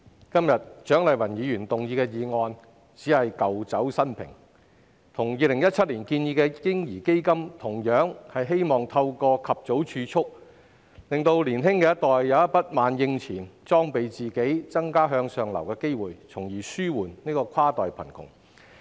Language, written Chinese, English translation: Cantonese, 主席，蔣麗芸議員今天提出的議案只是舊酒新瓶，與2017年建議的"嬰兒基金"一樣，都是希望透過及早儲蓄，讓年輕一代有筆萬應錢，裝備自己，增加向上流的機會，從而紓緩跨代貧窮。, President the motion proposed by Dr CHIANG Lai - wan today is just old wine in a new bottle . Like the baby fund proposed in 2017 it seeks to provide ready cash through early savings for the young generation to equip themselves so that they will have more opportunities for upward mobility thereby alleviating cross - generational poverty